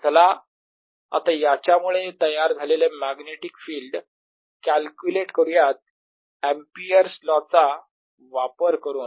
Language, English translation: Marathi, let us now calculate the magnetic field due to this, applying amphere's law